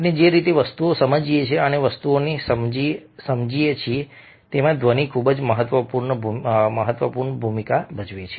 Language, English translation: Gujarati, sound plays a very significant role in the way we perceive things and we understand things